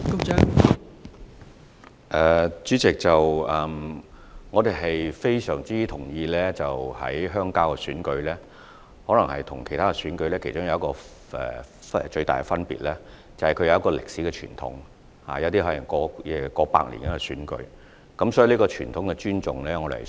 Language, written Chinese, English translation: Cantonese, 代理主席，我們非常同意鄉郊選舉與其他選舉的其中一個重大分別，是其歷史傳統，其中一些選舉可能已有超過半世紀歷史，所以我們有需要尊重傳統。, Deputy President we strongly agree that an important feature that distinguishes rural elections from other elections is their history and tradition . Since some of the rural elections may have a history of more than half a century it is important for us to respect tradition